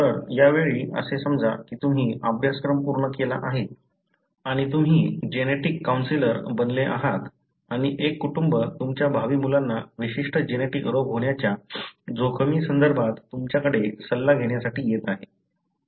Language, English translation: Marathi, So this time, assume that you finished the course and you have become a genetic counselor and there is a family comes to you for an advice with regard to the risk of their future children having a particular genetic disease